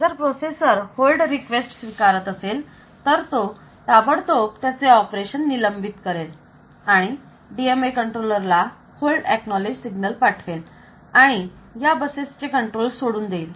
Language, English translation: Marathi, The processor will immediately suspend it is operation if it is going to accept that hold request so it will suspend it operations it will send the hold acknowledge signal to the DMA controller and it will release the control of these buses